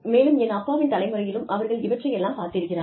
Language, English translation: Tamil, And, my father's generation, they have seen these things, come